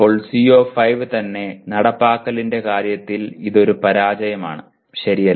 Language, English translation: Malayalam, Then CO5 itself is that is in terms of implementation itself it is a failure, okay